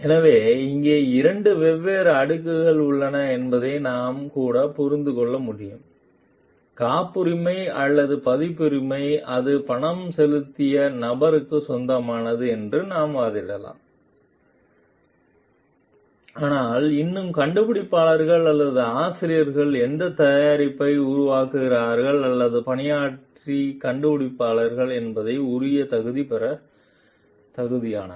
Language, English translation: Tamil, So, even we can understand there are two different layers over here, even if the patent or the copyright we can argue it belongs to the person, who has paid for it, but still the inventor or the author deserved the due credit as the author or the inventor who has like as a creator of that product